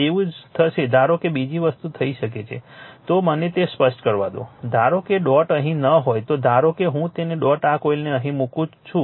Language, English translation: Gujarati, Same thing will happen suppose another thing can happen let me clear it same thing suppose dot is not here suppose I put that dot here of this coil